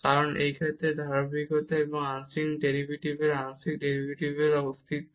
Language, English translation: Bengali, And this is because of the reason that the continuity and the partial derivatives the existence of partial derivatives